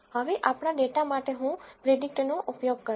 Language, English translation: Gujarati, Now, for our data I am going to use predict